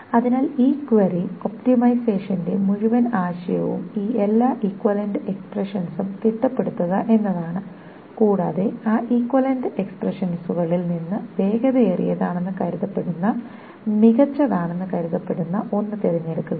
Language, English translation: Malayalam, So the whole idea of this query optimization is to figure out all these equivalent expressions and then out of those equivalent expression ones, choose the one that is supposedly faster, that is supposedly better